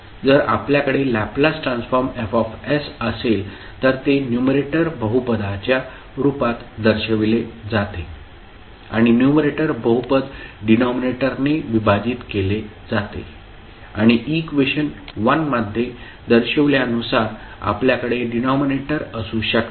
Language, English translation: Marathi, Let me see, if you have a transfer Laplace transform F s, which is represented as a numerator polynomial divided by denominator and where you can have the denominator as shown in the equation